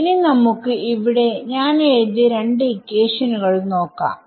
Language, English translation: Malayalam, So, now let us move attention to these two equations that I written over here